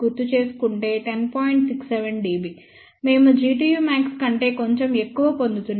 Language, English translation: Telugu, 67 dB, we are getting slightly more than G tu max